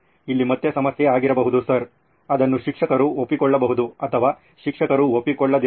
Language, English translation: Kannada, Again problem here would be sir, it might be accepted by the teacher or might not be accepted by the teacher